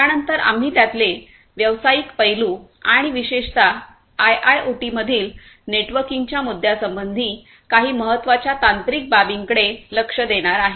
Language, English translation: Marathi, Thereafter we looked into the business aspects of it and also some of the very important technological aspects particularly concerning the networking issues in IIoT